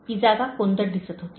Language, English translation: Marathi, That place looked dingy